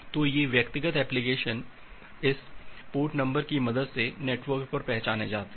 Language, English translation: Hindi, So, these individual applications they are identified over the network with the help of this port number